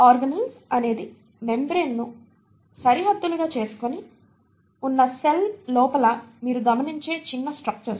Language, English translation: Telugu, Now, organelles are small structures that you observe within a cell which themselves are bounded by membranes